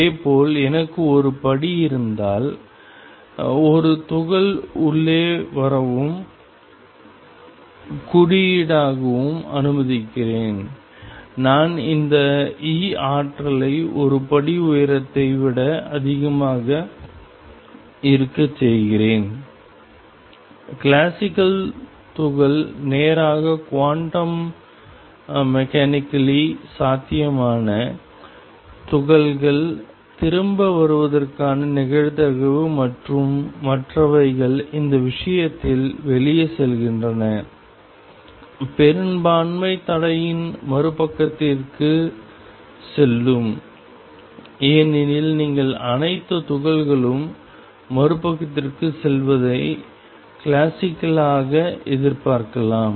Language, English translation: Tamil, Similarly, if I have a step and suppose, I allow a particle to come in and symbolically, I am making this energy E to be greater than the step height classically the particle would just go straight quantum mechanically sound the particles have a probability of coming back and others go out in this case a majority would be going to the other side of the barrier as you would expect classically where all the particle go to the other side